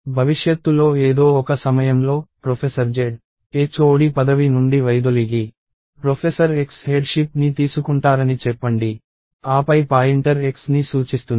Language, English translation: Telugu, At some point of time in the future, professor Z steps down as HOD and let us say professor X takes of the headship, then the pointer points to X